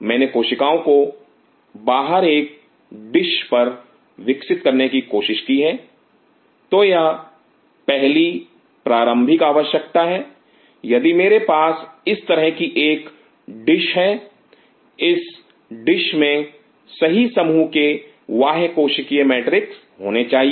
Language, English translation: Hindi, I have tried to grow the cells outside on a dish, then it is the prime prerequisite is if I have a dish like this the dish should have the right set of extra cellular matrix